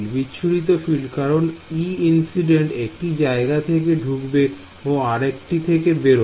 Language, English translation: Bengali, Scatter field because e incident will enter from one place and exit from another place